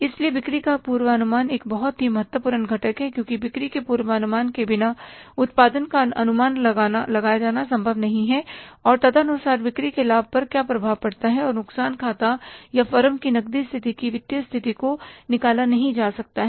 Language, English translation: Hindi, So, sale forecasting is a very, very important component because without sales forecasting means production is not possible to be estimated and accordingly the impact of that sales on the profit and loss account or maybe the financial position or the cash position of the firm cannot be worked out